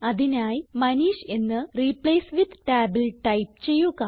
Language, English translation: Malayalam, So we type Manish in the Replace with tab